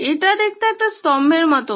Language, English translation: Bengali, This looks like a pillar